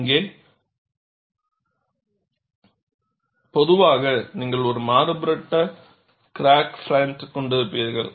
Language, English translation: Tamil, And here, you find, in general, you will have a varying crack front